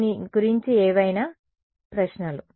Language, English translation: Telugu, Any questions about this